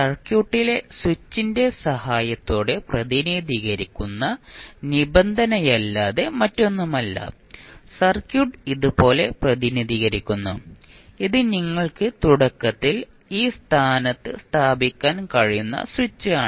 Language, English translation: Malayalam, That is nothing but the condition which you represent with the help of switch in the circuit that the circuit is represented like this and this is the switch which you can initially put at this position